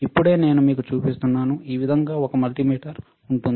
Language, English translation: Telugu, Just now I am just showing it to you this is how a multimeter looks like, all right